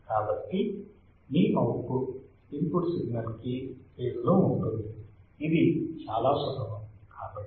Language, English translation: Telugu, So, your output would be in phase to the input signal right this much is easy